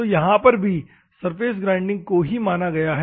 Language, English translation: Hindi, So, in this case, also surface grinding is considered